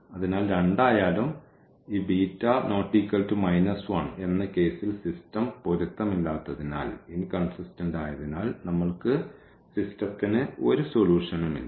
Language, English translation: Malayalam, So, in either case when this beta is not equal to 1, the system is inconsistent and we do not have a solution for the system